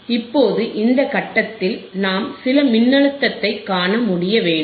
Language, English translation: Tamil, Now, at this point we should be able to see some voltage